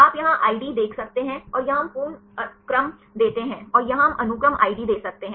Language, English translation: Hindi, You can see the id here and here we give the complete sequences and here we can give sequence ids